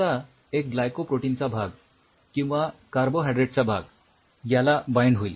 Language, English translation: Marathi, Suppose let it join the carbohydrate part of the glycoprotein something like this